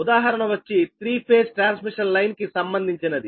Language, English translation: Telugu, the example is a three phase transmission line